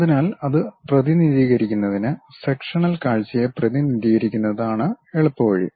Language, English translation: Malayalam, So, to represent that, the easiest way is representing the sectional view